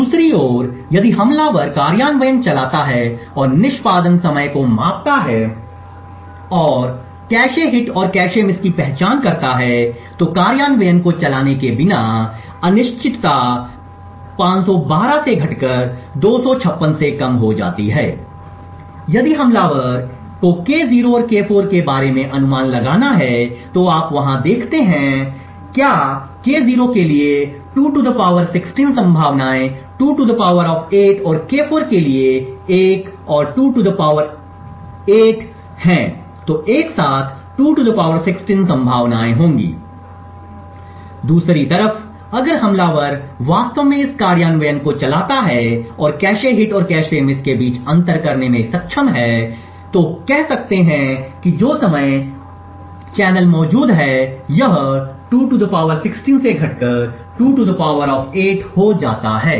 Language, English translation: Hindi, On the other hand, if the attacker runs the implementation and measures the execution time and identify cache hits and cache misses is uncertainty reduces from 512 to less than 256 without running the implementation if the attacker has to guess about K0 and K4 you see that there are 2 ^ 16 possibilities 2 ^ 8 for K0 and another 2 ^ 8 for K4 so together there would be like 2 ^ 16 possibilities, on the other hand if the attacker actually runs this implementation and is able to distinguish between a cache hit and cache miss or say by the timing channels that are present and then this reduces from 2 ^ 16 to 2 ^ 8